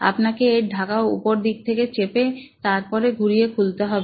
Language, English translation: Bengali, You have to press on it from the top and then rotate it